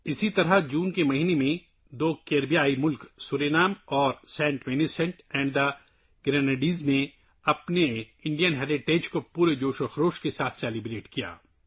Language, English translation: Urdu, Similarly, in the month of June, two Caribbean countries Suriname and Saint Vincent and the Grenadines celebrated their Indian heritage with full zeal and enthusiasm